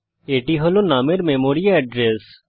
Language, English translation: Bengali, That is the memory address of num